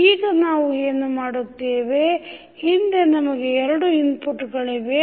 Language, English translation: Kannada, Now, what we will do in this case we have two inputs